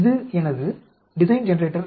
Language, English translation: Tamil, This is my Design Generator